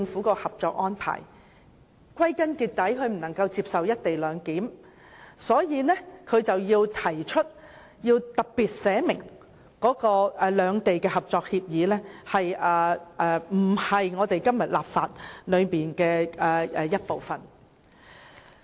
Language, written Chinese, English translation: Cantonese, 歸根結底，他無法接受"一地兩檢"，所以提出要特別訂明兩地的《合作安排》不屬香港法律的一部分。, In the final analysis as he cannot accept it he has proposed specifically the stipulation that the Co - operation Arrangement between both sides does not form part and parcel of the laws of Hong Kong